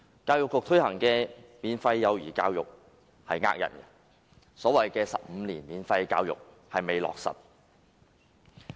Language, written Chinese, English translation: Cantonese, 教育局推行的免費幼兒教育欺騙市民，所謂15年免費教育並未落實。, The Education Bureau has cheated the public in the implementation of free kindergarten education . The promise of providing 15 years of free education has not been materialized